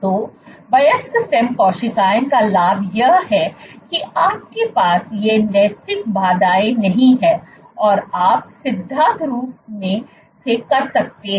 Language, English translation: Hindi, So, the advantage of adult stem cells is you do not have these ethical hurdles and you can in principle